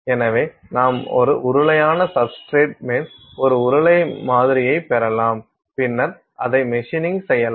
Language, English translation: Tamil, So, you’re getting like a cylindrical sample on top of a cylinder cylindrical substrate then you can machine it out